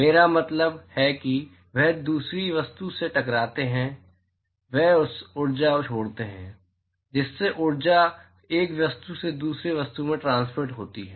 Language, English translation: Hindi, I mean they hit the other object they leave the energy that is how the energy is being transmitted from one object to another